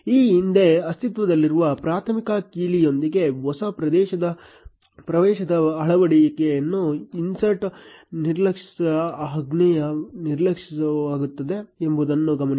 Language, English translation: Kannada, Note that the insert ignore command ignores the insertion of a new entry with previously existing primary key